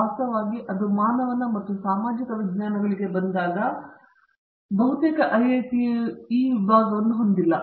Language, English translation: Kannada, In fact, there is when it comes to humanities and social sciences and not almost all IIT's have this department